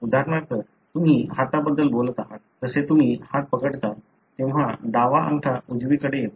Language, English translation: Marathi, Say for example, you are talking about the handedness, like when you clasp your hands the left thumb comes over right